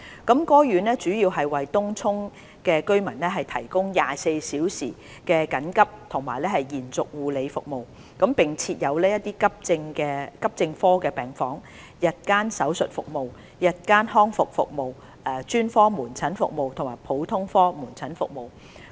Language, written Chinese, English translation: Cantonese, 該院主要為東涌區居民提供24小時緊急及延續護理服務，並設有急症科病房、日間手術服務、日間復康服務、專科門診服務和普通科門診服務。, NLH provides 24 - hour emergency and extended care services mainly for Tung Chung residents . It also operates an Emergency Medicine Ward and provides ambulatory surgical service day rehabilitation service specialist outpatient clinic service as well as general outpatient clinic service